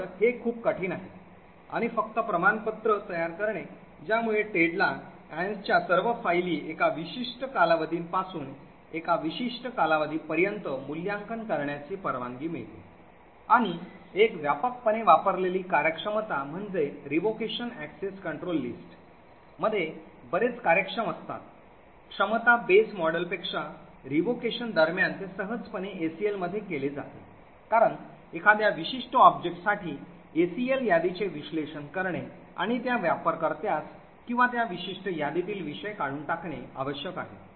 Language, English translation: Marathi, So, this is far more difficult and just creating a certificate which gives Ted a permission to assess all of Ann’s files from a particular period to a particular period, another widely used functionality is that of revocation, in revocation access control list are much more efficient than the capability base model, in during revocation it is easily done in ACL because all that is required is to parse the ACL list for a particular object and remove the user or the subject of that particular list